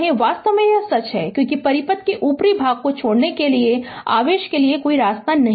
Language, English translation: Hindi, In fact, this is true because there is no path for charge to leave the upper part of the circuit right